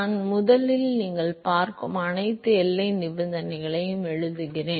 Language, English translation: Tamil, I first just write all the boundary condition you will see that